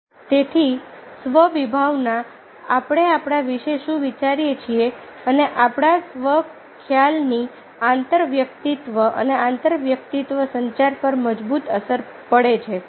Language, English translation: Gujarati, so self concept, what we think about ourselves, our self concept has a strong effect on intrapersonal and intrapersonal communication